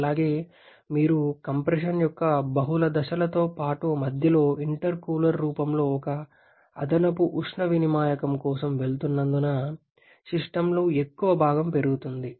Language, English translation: Telugu, And also the bulk of the system increases because you are going for multiple stages of compression plus one additional heat exchanger in the form of a intercooler in between